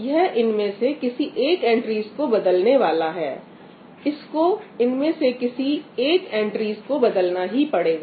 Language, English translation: Hindi, What is going to happen it is going to replace one of these entries, it has to replace one of these entries